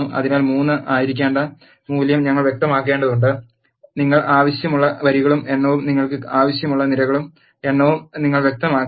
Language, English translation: Malayalam, So, we need to specify the value to be 3 and you have to specify the number of rows you want and the number of columns you want